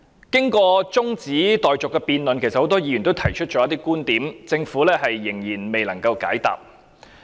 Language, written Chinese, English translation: Cantonese, 在中止待續的辯論中，其實很多議員也提出了一些觀點，但政府仍然未能解答。, During the adjournment debate actually many Members have advanced their viewpoints which have yet to be addressed by the Government